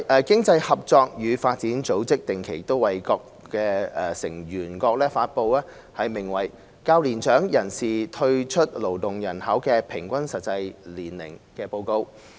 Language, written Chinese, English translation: Cantonese, 經濟合作與發展組織定期為各成員國發布名為"較年長人士退出勞動人口的平均實際年齡"的指標。, The Organisation for Economic Co - operation and Development regularly publishes for its member countries an indicator known as the average effective age at which older workers withdraw from the labour force